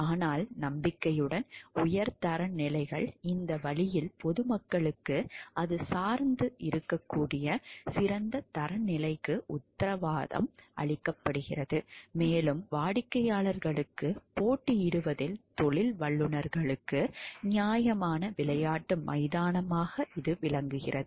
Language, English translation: Tamil, But hopefully high standards, in this way the public is assured of a standard of excellence on which it can depend and professionals are provided a fair playing field in competing for clients